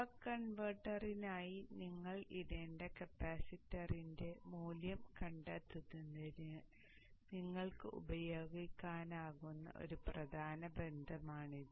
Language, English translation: Malayalam, Now this is a important relationship which you can use for finding the value of the capacitance that you need to put for the buck converter